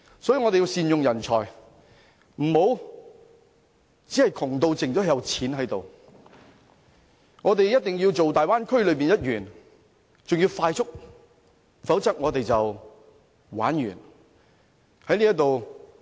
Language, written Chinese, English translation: Cantonese, 所以，我們要善用人才，不能窮得只有錢，我們必須成為大灣區內的一員，還要迅速，否則我們便玩完。, Hence we have to make good use of the talent . We cannot act like a poor person who has nothing but money . We must expeditiouly become a member of the Bay Area otherwise it is a game over for Hong Kong